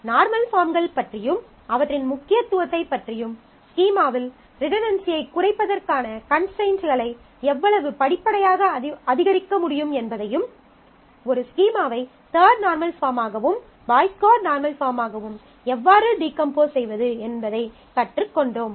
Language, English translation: Tamil, So, we have studied about the normal forms and their importance and how progressively we can increase the constraints to minimize redundancy in the schema and learned how to decompose a schema into third normal form and also in the Boyce Codd normal form